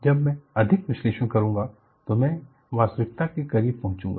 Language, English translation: Hindi, When you do more analysis, I should also go closer to reality